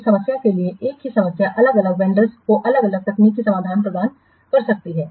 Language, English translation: Hindi, For the same problem different vendors may provide different technical solutions